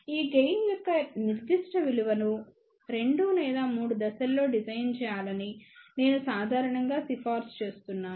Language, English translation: Telugu, I generally recommend that you design this particular value of gain in 2 or 3 stages